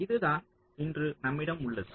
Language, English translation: Tamil, ok, this is what we have today